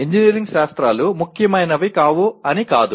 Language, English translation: Telugu, It is not that engineering sciences are unimportant